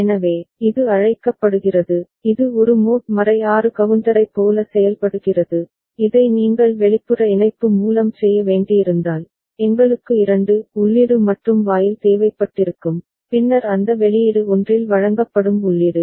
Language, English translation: Tamil, So, this is called, this is behaving like a mod 6 counter and if you had required to do this by external connection, then we would have required a 2 input AND gate and then that output would have been fed to one of the input